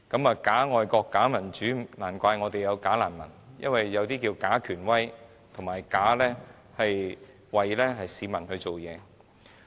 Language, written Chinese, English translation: Cantonese, 有假愛國、假民主，難怪會有"假難民"，因為有些假權威裝作為市民辦事。, When there are bogus patriots and bogus democracy it is not surprising to have bogus refugees as there are some bogus authoritative people pretending to work for the public